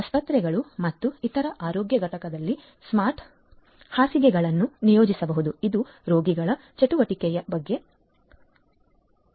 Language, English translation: Kannada, In hospitals and other health care units smart beds can be deployed which can send notification about the patients activity